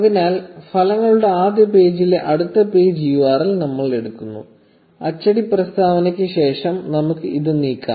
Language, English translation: Malayalam, So, we pick up the next page URL in the first page of the results; let us move this after the print statement